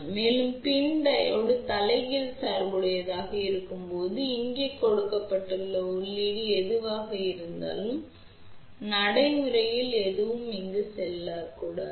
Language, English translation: Tamil, And, when PIN Diode is reverse bias, whatever is the input given here practically nothing should go over here ok